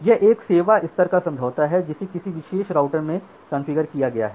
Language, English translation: Hindi, So, this is one service level agreement which has been configured in a particular router